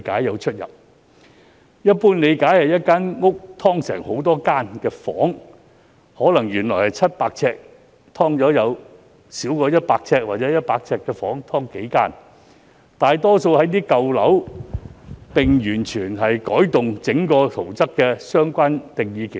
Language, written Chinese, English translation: Cantonese, 根據一般理解，"劏房"是指一間屋"劏"成很多房間，可能原本700呎的單位"劏"成數個少於或等於100呎的房間，"劏房"大多位於舊樓，整個圖則會完全改動。, Based on common understanding an SDU refers to a residential flat which has been subdivided into a number of cubicles . For example a flat which is originally 700 sq ft may be subdivided into several cubicles of less than or equal to 100 sq ft . Most SDUs are located in old buildings where the entire building plans are completely altered